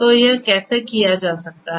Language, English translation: Hindi, So, how that can be done